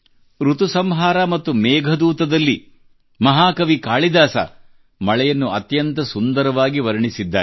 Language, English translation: Kannada, In 'Ritusanhar' and 'Meghdoot', the great poet Kalidas has beautifully described the rains